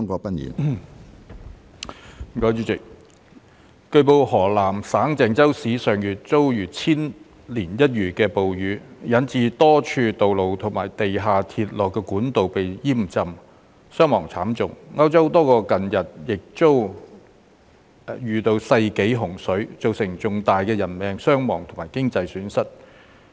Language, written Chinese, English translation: Cantonese, 主席，據報，河南省鄭州市上月遭遇千年一遇的暴雨，引致多處道路及地下鐵路管道被淹浸，傷亡慘重；歐洲多國近日亦遭遇世紀洪水，造成重大的人命傷亡及經濟損失。, President it has been reported that Zhengzhou City of Henan Province was hit by once - in - a - millennium rainstorms last month resulting in the roads and underground railway conduits at a number of places being inundated and inflicting heavy casualties; and a number of European countries have also been devastated recently by floods of the century which caused heavy casualties and economic losses